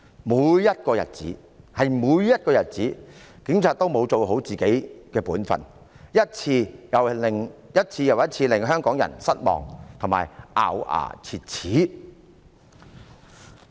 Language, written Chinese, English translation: Cantonese, 每一個日子，警察都沒有做好本分，一次又一次令香港人失望和咬牙切齒。, On each and every day the Police did not do their job properly disappointing and enraging the people of Hong Kong again and again